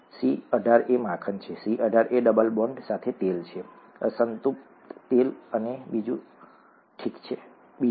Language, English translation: Gujarati, C18 is butter, C18 with a double bond is oil, unsaturated oil and so on, okay